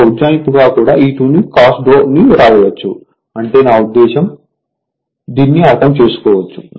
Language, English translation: Telugu, Now, as an approximation also you can write E 2 cos delta right E 2 E 2 cos delta there mean I mean I mean I mean this one